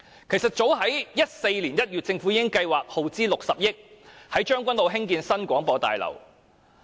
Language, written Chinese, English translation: Cantonese, 其實早在2014年1月，政府已計劃耗資60億元在將軍澳興建新廣播大樓。, In fact as early as in January 2014 the Government already planned to develop a new Broadcasting House in Tseung Kwan O at a cost of 6 billion